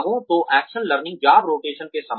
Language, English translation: Hindi, So, action learning is similar to job rotation